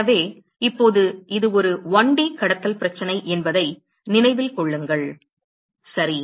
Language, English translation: Tamil, So, remember that now, it is a 1D conduction problem ok